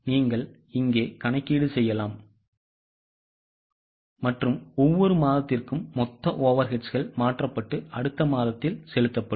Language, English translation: Tamil, You can go here and the total overrate for each month is transferred and paid in the next month